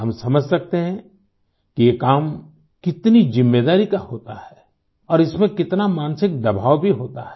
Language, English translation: Hindi, We can understand the magnitude of responsibility involved in such work…and the resultant mental pressure one undergoes